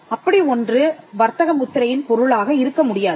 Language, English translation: Tamil, It cannot be a subject matter of a trademark